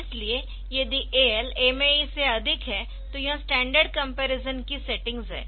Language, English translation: Hindi, So, if AL is greater than MA E then this is the settings of the comparison standard comparison